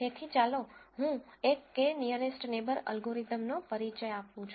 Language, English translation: Gujarati, So, let me introduce a k nearest neighbor classification algorithm